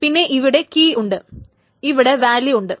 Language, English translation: Malayalam, The first is a key and then there is a value